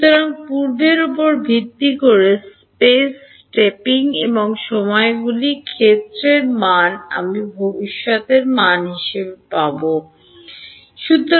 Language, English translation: Bengali, So, space stepping and times stepping based on previous values of field I will get future values and